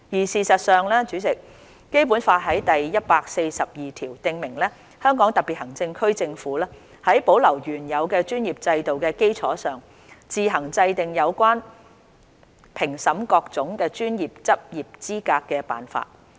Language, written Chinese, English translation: Cantonese, 事實上，代理主席，《基本法》第一百四十二條訂明："香港特別行政區政府在保留原有的專業制度的基礎上，自行制定有關評審各種專業的執業資格的辦法。, In fact Deputy President Article 142 of the Basic Law stipulates that The Government of the Hong Kong Special Administrative Region shall on the basis of maintaining the previous systems concerning the professions formulate provisions on its own for assessing the qualifications for practice in the various professions